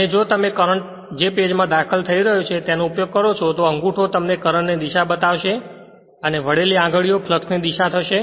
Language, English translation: Gujarati, And if you use current entering into the page then the thumb will be what you call the direction of the current and this fingers, the curling fingers will be the direction of the flux right